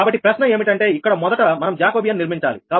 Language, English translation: Telugu, so question is the first: we have to form the jacobian